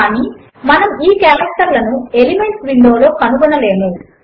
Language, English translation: Telugu, But we wont find these characters in the Elements window